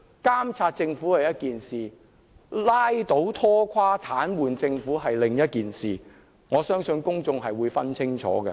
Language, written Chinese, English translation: Cantonese, 監察政府是一回事，拉倒、拖垮、癱瘓政府是另一回事，我相信公眾會分清楚。, Monitoring the Government and dragging down or paralysing the Government are two different things and I believe the public will be clear about that